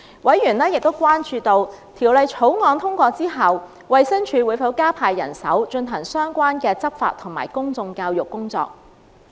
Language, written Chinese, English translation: Cantonese, 委員亦關注到，《條例草案》獲通過後，衞生署會否加派人手，進行相關的執法及公眾教育工作。, Members also expressed concern on whether the Department of Health DH would after passage of the Bill deploy additional manpower to carry out relevant law enforcement and public education work